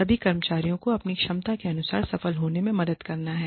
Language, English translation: Hindi, It is to help, all the employees, succeed, to the best of their ability